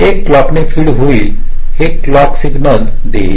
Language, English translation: Marathi, this will be feed by a clock, this will a clock signal